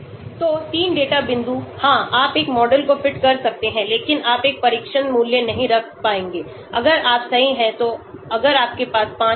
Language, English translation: Hindi, So 3 data point yes you can fit a model but you will not be able to have a test value if you are right so if you have a 5, 6